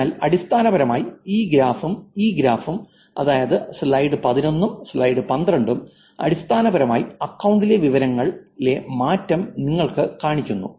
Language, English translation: Malayalam, That just shows, so basically this graph on this graph, the slide 11 and slide 12 is basically showing you the change in information in the account